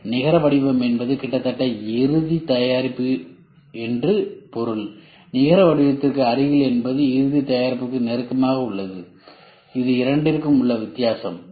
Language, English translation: Tamil, Net shape means it is almost the final product, near net shape means it is close to the final product that is a difference ok